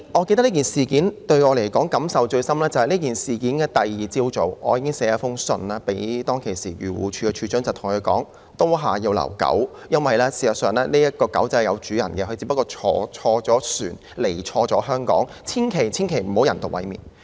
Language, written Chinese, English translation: Cantonese, 這件事令我感受最深的是，在事發後的次日早上，我已經致函時任漁護署署長，對他說"刀下要留狗"，因為這隻小狗其實是有主人的，只是錯誤地登船來到香港，千萬不要人道毀滅牠。, What struck me in particular in this incident is that in the morning on the next day of the incident I already wrote to the then Director of Agriculture Fisheries and Conservation to request him to spare the puppys life because it actually had an owner only that it had boarded a ship and come to Hong Kong by mistake so it definitely must not be euthanased